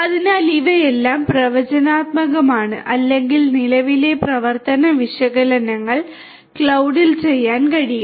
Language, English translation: Malayalam, So, all of these things are going to be predictive or current operational analytics can be done at the cloud